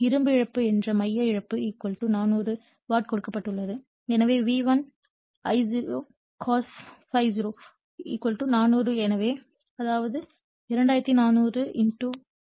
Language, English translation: Tamil, So, core loss that is iron loss = also given 400 watt, therefore, V1 I0 cos ∅0 = 400 so, that is 2400 * 0